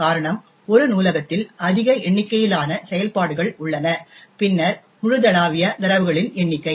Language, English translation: Tamil, The reason being that there are far more number of functions in a library then the number of global data